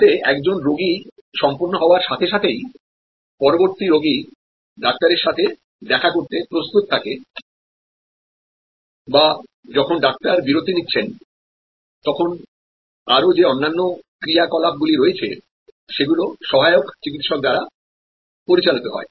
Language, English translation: Bengali, So, that as soon as one patient is done, the next patient is ready to meet the doctor or when the doctor is taking a break, there are other activities that are performed by medical assistants